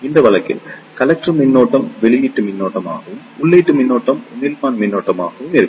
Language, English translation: Tamil, In that case, the collector current will be the output current and input current will be the emitter current